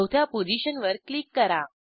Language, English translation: Marathi, Click on the fourth position